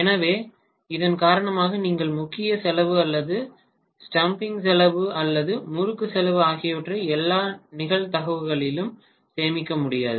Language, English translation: Tamil, So because of which you may not be able to save on the core cost or the stamping cost or even the winding cost in all probability